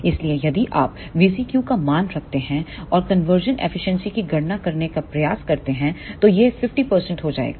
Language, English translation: Hindi, So, if you put the value of V CQ and try to calculate the conversion efficiency then it will come out to be 50 percent